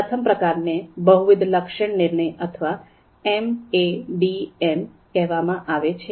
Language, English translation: Gujarati, First one is called multiple attribute decision making or MADM